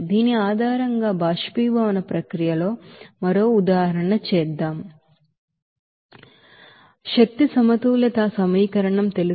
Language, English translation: Telugu, Now, let us do another example of evaporation process based on this you know energy balance equation